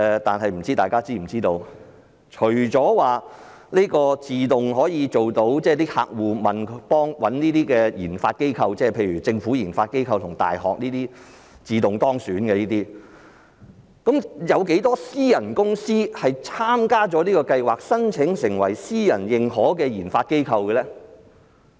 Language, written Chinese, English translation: Cantonese, 但是，不知大家是否知道？除了自動可以入選，即客戶找這些研發機構，例如政府研發機構及大學，這些能夠自動當選，有多少私人公司參加了這項計劃，申請成為私人認可的研發機構呢？, However although RD institutions identified by individual clients can be automatically included in the relevant scheme I wonder if Members are aware of the number of private institutions participating in the programme and applying to become accredited private RD institutions